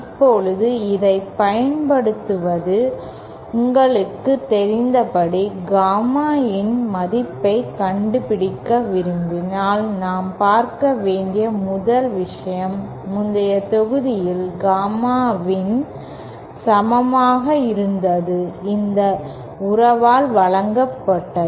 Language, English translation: Tamil, Now, using this, as you know, 1st thing that we have to see is if we want to find out the value of gamma in, gamma in in the previous module we saw was equal to, was given by this relationship